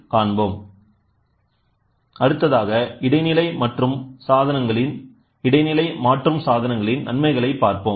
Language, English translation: Tamil, So, next we will start looking intermediate modification devices advantages